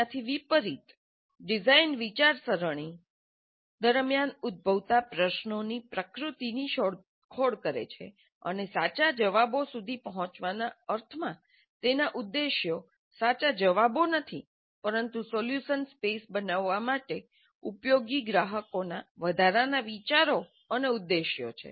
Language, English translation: Gujarati, By contrast, questions that arise during design thinking are exploratory in nature and their objectives are not true answers in the sense of reaching some well defined correct true answers, but additional ideas and intents of customers useful for framing the solution space